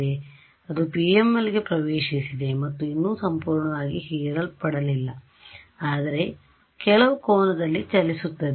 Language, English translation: Kannada, The wave, that has entered the PML and not yet fully absorbed, but travelling at some angle right